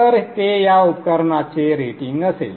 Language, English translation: Marathi, So that would be the rating for this device